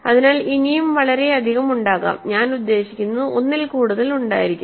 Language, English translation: Malayalam, So, because there could be many more, there could be more than one I mean